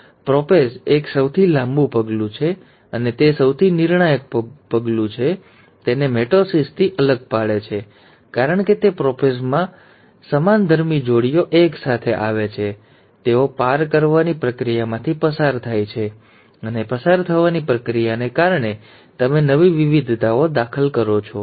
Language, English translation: Gujarati, In meiosis one, prophase one is the longest step and it is one of the most critical step which sets it apart from mitosis because it is in prophase one that the homologous pairs come together, they undergo a process of crossing over, and because of the process of crossing over, you introduce new variations